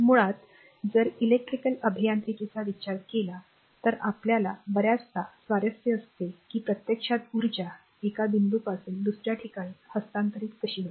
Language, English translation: Marathi, So, and basically if you think about electrical engineering we are often interested that actually electrical transfer in energy from one point to another